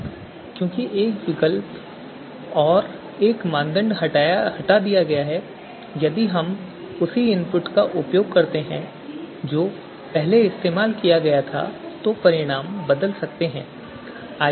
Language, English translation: Hindi, Now because one alternative and one criteria one criterion has been removed and on the same input that we had used previously if we use the same input again now the results will change right